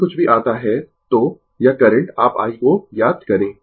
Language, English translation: Hindi, Whatever it comes, so, this this current you find out i